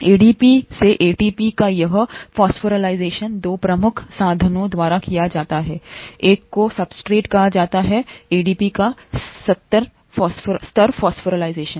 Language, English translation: Hindi, This phosphorylation of ADP to ATP is carried out by 2 major means; one is called substrate level phosphorylation of ADP